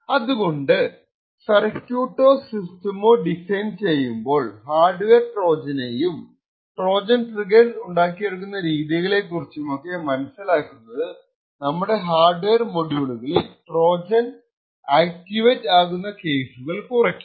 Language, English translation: Malayalam, So, designing circuits or systems keeping in mind these hardware Trojans and the way a Trojans triggers can be designed could drastically reduce the cases where Trojans can be activated in particular hardware module